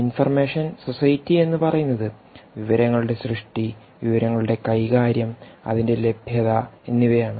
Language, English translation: Malayalam, when you say information society, it's all about creation of information, manipulation of information, access to that such information right